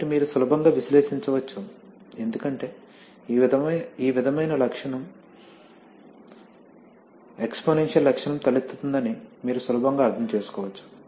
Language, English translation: Telugu, So you can easily analyze, as you can easily understand that this sort of characteristic, exponential kind of characteristic arises